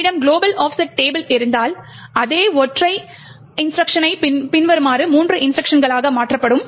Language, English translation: Tamil, If you have a global offset table however, the same single instruction gets converted into three instructions as follows